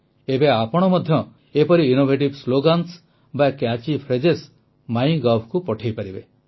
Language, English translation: Odia, Now you can also send such innovative slogans or catch phrases on MyGov